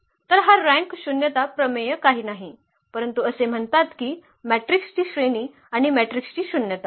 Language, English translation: Marathi, So, this rank nullity theorem is nothing but it says that the rank of a matrix plus nullity of the matrix